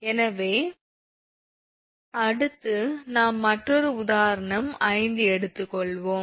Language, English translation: Tamil, So, next we will take another example